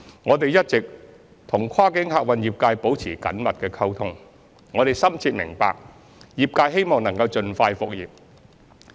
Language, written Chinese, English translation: Cantonese, 我們一直與跨境客運業界保持緊密溝通，深切明白業界希望能盡快復業。, We have been maintaining close communication with the cross - boundary passenger transport trade and fully understand the trades wish to resume its operation as soon as possible